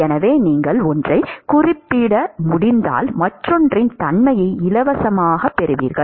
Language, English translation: Tamil, So, if you can characterize one, you get the characterization for the other for free